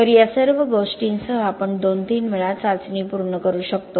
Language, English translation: Marathi, So with all these we could actually get the testing done in 2 ñ 3 times